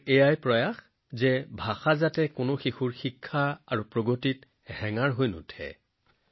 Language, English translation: Assamese, It is our endeavour that language should not become a hindrance in the education and progress of any child